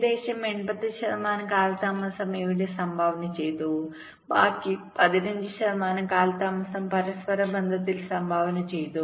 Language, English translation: Malayalam, eighty five percent of delay was contributed here and the rest fifteen percent delay was contributed in the interconnections